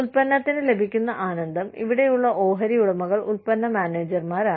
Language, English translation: Malayalam, The pleasure, that comes to the product, and the stakeholders here, are the product manager